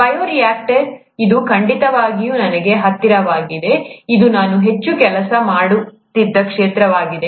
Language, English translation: Kannada, Bioreactor, by the way, it is it is certainly closer to me, this is the area in which I used to work heavily